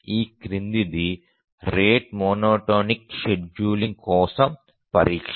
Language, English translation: Telugu, Now let's examine for the rate monotonic scheduling